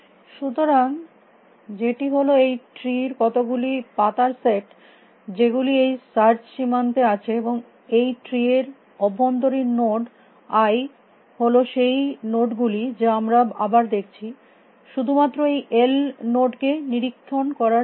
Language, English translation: Bengali, So, which the set of as I said right the leaves of this tree are the is the search frontier and the internal nodes i of this tree are the nodes that we are visiting again for the sake of inspecting these l nodes